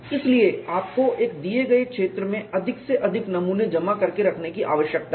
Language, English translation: Hindi, So, you need to stack as many specimens as possible in a given area